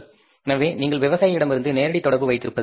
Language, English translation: Tamil, So better it is, you have the direct contact with the farmer